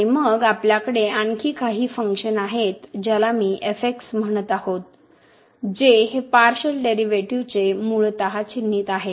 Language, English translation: Marathi, And then we have some other function which I am calling as which is basically the notation of this a partial derivatives